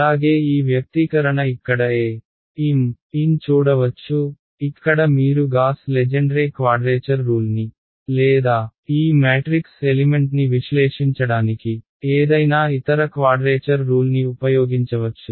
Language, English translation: Telugu, Also this the expression over here for a m n that you can see over here this is where you can use your Gauss Legendre quadrature rules, or any other quadrature rules to evaluate this matrix element